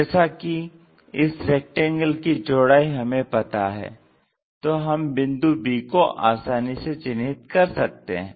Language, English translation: Hindi, And rectangle breadth is known, so we will be in a position to locate b point